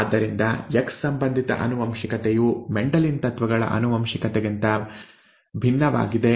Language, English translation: Kannada, Thus X linked inheritance is different from inheritance by Mendelian principles